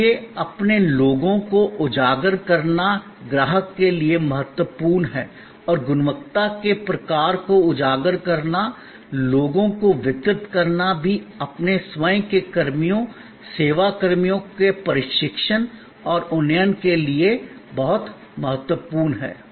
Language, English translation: Hindi, So, highlighting your people is important for the customer and highlighting the kind of quality, the people must deliver is also very important for training and upgrading your own personnel, service personnel